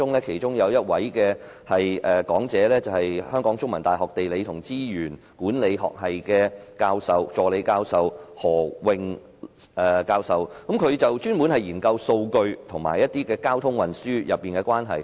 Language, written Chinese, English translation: Cantonese, 其中一位講者是香港中文大學地理與資源管理學系助理教授何穎教授，她專門研究數據與交通運輸的關係。, One of the speakers was Prof Sylvia HE Assistant Professor from the Department of Geography and Resource Management at The Chinese University of Hong Kong